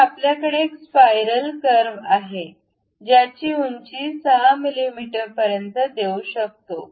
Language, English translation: Marathi, So, we have the spiral curve where we can really give height up to 6 mm